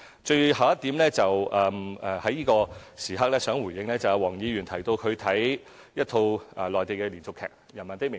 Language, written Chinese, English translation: Cantonese, 最後一點，我想在此刻回應黃議員提到一套她觀看的內地連續劇"人民的名義"。, Lastly now I would like to respond to Dr WONG about a Mainland drama series that she has watched In the Name of the People